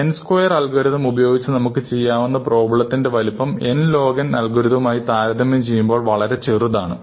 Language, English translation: Malayalam, The size of the problems, that we can tackle for n squared are much smaller than the size of the problems we can tackle for n log n